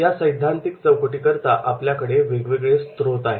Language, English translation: Marathi, For theoretical framework we are having the different resources